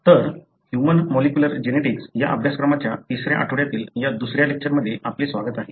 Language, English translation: Marathi, So, welcome to this second lecture of the third week of the course human molecular genetics